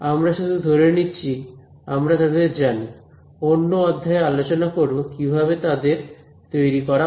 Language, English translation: Bengali, So, we are just assuming that we know them ok, in another module we will talk about how to derive them